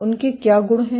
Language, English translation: Hindi, What are their properties